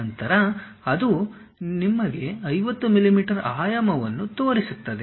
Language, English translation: Kannada, Then it shows you 50 mm dimension